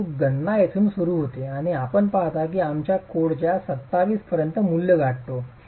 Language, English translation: Marathi, So, that's where the calculation starts from and you see that we reach values of 27